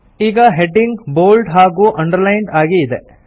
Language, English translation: Kannada, Hence the heading is now bold as well as underlined